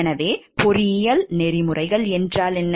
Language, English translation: Tamil, So, what is engineering ethics